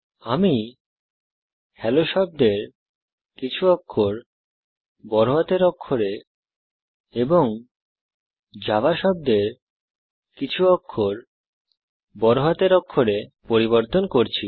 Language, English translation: Bengali, Im changing a few characters of the word Hello to upper case and of the word java to uppercase